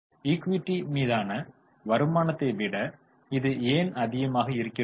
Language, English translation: Tamil, Why is it higher than return on equity